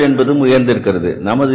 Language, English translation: Tamil, Number of working days have also increased